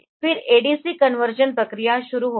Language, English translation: Hindi, Then the ADC conversion process will start